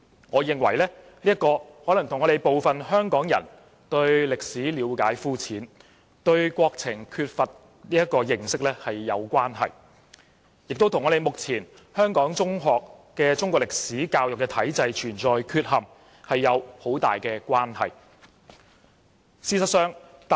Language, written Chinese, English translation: Cantonese, 我認為，問題可能與部分香港人對歷史了解膚淺和對國情缺乏認識有關係，也與目前香港中學的中國歷史科教育體制存在缺陷有密切關係。, In my view the problem may be related to the lack of understanding among some Hong Kong people of the history and situation of the country and it may also be closely related to the deficiencies of the existing system of Chinese history education in secondary schools